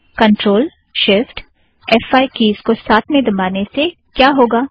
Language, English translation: Hindi, So if I click ctrl, shift, f5 keys simultaneously, what will happen